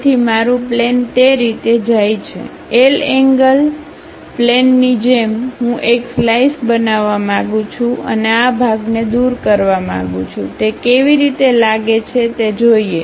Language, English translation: Gujarati, So, my plane actually goes in that way; like a L angle, L angle plane I would like to really make a slice and remove this part, retain this how it looks like